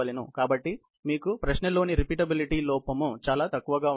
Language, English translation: Telugu, So, you have a very less repeatability error, which is in question